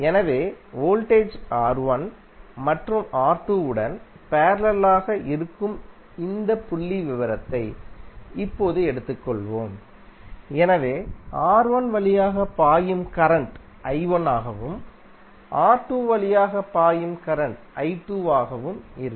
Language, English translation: Tamil, So let us take now this figure where voltage is connected to R1 and R2 both which are in parallel, so current flowing through R1 would be i1 and current flowing through R2 would be i2